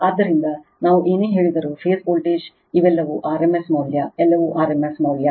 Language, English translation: Kannada, So, whatever we say V p is the phase voltage these are all rms value right, everything is rms value